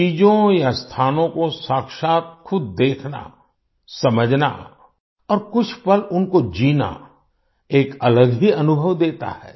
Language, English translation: Hindi, Seeing things or places in person, understanding and living them for a few moments, offers a different experience